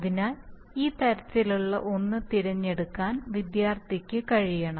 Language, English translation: Malayalam, So the student should be able to select one of these types